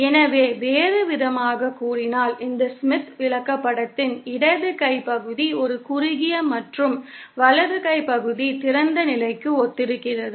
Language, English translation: Tamil, So, in other words, the left hand portion of this Smith chart corresponds to a short and the right hand portion corresponds to an open